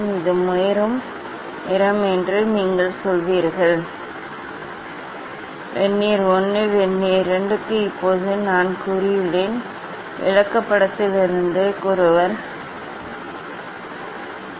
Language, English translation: Tamil, you will this is the violate colour, I have said Now, for Vernier 1, Vernier 2 what is the wavelength that from chart one has to find out